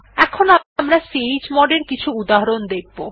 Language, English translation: Bengali, Now we will look at some examples of chgrp command